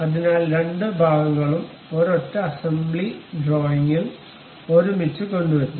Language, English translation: Malayalam, So, both the parts are brought together in a single assembly drawing